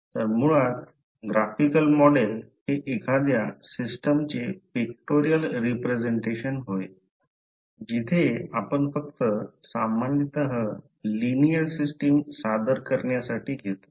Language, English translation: Marathi, So basically the graphical model is nothing but pictorial representation of the system generally we take only the linear system for the presentation